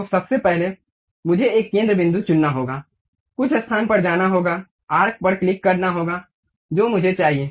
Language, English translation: Hindi, So, first of all I have to pick center point, go to some location, click arc I want